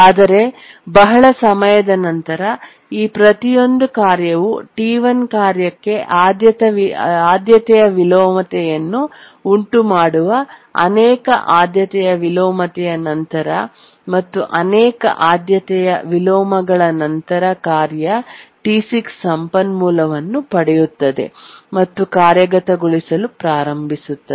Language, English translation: Kannada, But after a long time, after many priority inversion, each of this task is causing a priority inversion to the task T1 and after many priority inversions, task T6 gets the resource, starts executing, and after some time religious the resource that is unlocks here